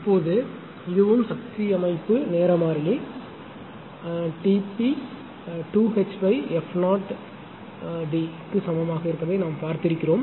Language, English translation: Tamil, Now, we know that this is also we have seen power system time constant t p is equal to H upon f 0 d